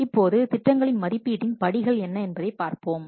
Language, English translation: Tamil, Now let's see what are the steps of the evaluation of the proposals